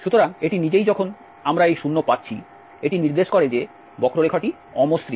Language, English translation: Bengali, So, this it self when we are getting this 0 this indicates that the curve is non smooth